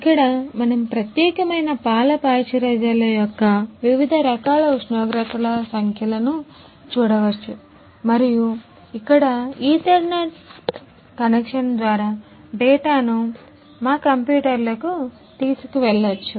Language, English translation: Telugu, Here we can see the numbers of different type of temperatures of particular milk pasteurisers we can see and from here we can take the data to our to our computers by ethernet connections